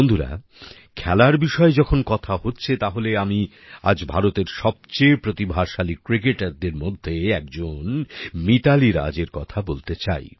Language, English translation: Bengali, Friends, when it comes to sports, today I would also like to discuss Mithali Raj, one of the most talented cricketers in India